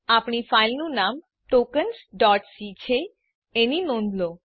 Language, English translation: Gujarati, Note that our file name is Tokens .c